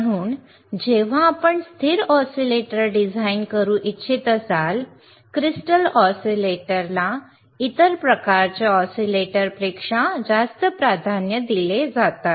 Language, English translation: Marathi, So, when you have, when you want to have a stable when you want to design a stable oscillator, the crystal oscillators are preferred are preferred over other kind of oscillators